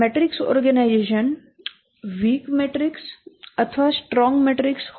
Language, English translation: Gujarati, A matrix organization can be either a weak or a strong matrix